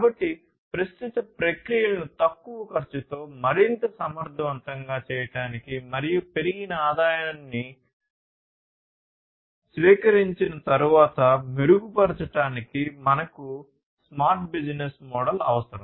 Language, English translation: Telugu, So, we need the smart business model in order to make the current processes less costly, more efficient, and to improve upon the receiving of increased revenue